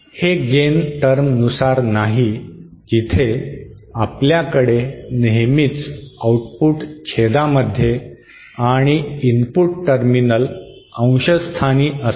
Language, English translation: Marathi, Unlike gain term where you always have output in the numerator and input terminal denominator